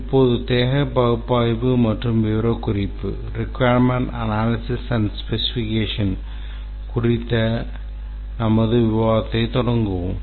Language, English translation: Tamil, Now let's start our discussion on the requirements analysis and specification